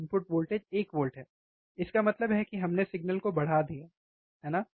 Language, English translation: Hindi, Input voltage is one volt right; that means, that we have amplified the signal, right